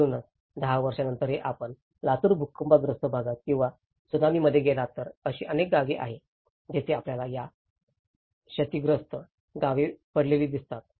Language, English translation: Marathi, So, even after 10 years if you ever go to Latur earthquake affected areas or even in Tsunami, there are many villages we can see these damaged villages lying like that